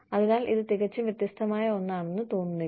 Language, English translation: Malayalam, So, it does not seem like, something totally different